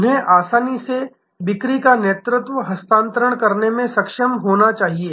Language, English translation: Hindi, They should be able to easily transfer a sales lead